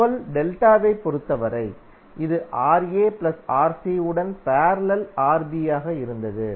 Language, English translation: Tamil, And for R1 2 delta, that was Rb in parallel with Ra plus Rc